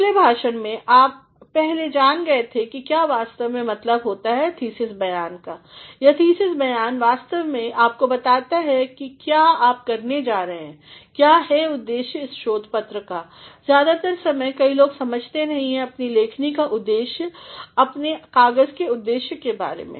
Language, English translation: Hindi, In the previous lectures, you have already come to know what exactly is meant by a thesis statement, this thesis statement actually tells you what you are going to do, what is the objective of this research paper, most of the time many people are not clear about the objective of their writing about the objective of their paper